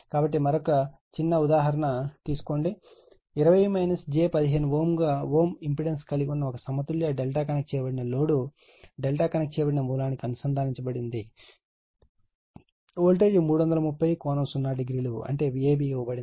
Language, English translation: Telugu, So, take another small example; a balanced delta connected load having an impedance 20 minus j 15 ohm is connected to a delta connected source the voltage is 330 angle 0 degree that is V ab is given